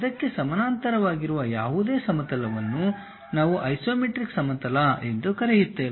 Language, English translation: Kannada, Any plane parallel to that also, we call that as isometric plane